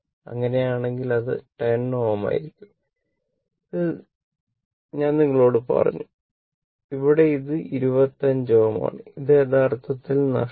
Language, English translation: Malayalam, So, in that case, it will be 10 ohm and I told you, here it is 25 ohm right, this is missed actually